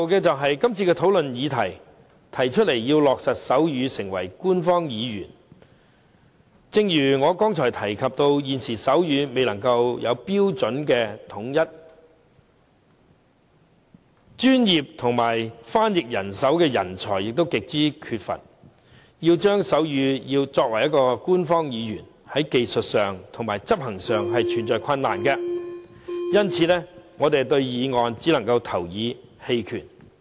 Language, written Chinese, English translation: Cantonese, 最後，這次討論的議題是提出要落實手語成為香港官方語言，正如我剛才提及，現時手語未有統一的標準，專業的手語翻譯人才又極為缺乏，要令手語成為官方語言，在技術和執行上存在困難，因此，我們對議案只能投以棄權票。, Lastly the motion topic under discussion is about making sign language an official language of Hong Kong . As I have mentioned just now given that sign language has yet to be standardized and with a severe shortage of professional sign language interpreters there are still technical and operational difficulties to overcome before sign language can be made an official language . Hence I can only abstain from voting